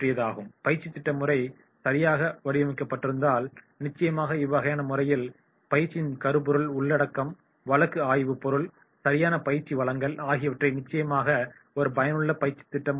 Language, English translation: Tamil, And if the training program is designed properly then definitely in that case the sequence, the content, the study material, the delivery then definitely in that case that will be an effective training program